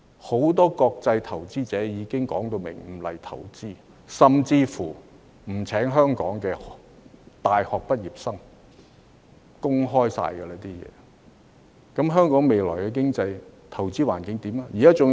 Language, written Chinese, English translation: Cantonese, 很多國際投資者已明言不會前來香港投資，甚至不會聘請香港的大學畢業生，這些全是已公開的事實，那麼，香港未來的經濟和投資環境會變成怎樣？, Many international investors have made it clear that they will not invest in Hong Kong or even hire university graduates from Hong Kong which are all public facts . So what will Hong Kongs future economic and investment environment become?